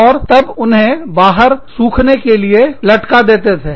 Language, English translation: Hindi, And then, you would hang them out to dry